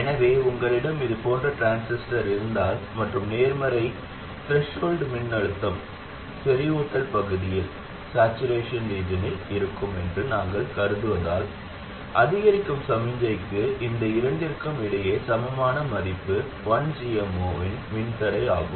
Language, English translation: Tamil, So if you have a transistor like this and since we consider positive threshold voltages this will be in saturation region, the equivalent between these two for the incremental signal is a resistor of value 1 over GM 0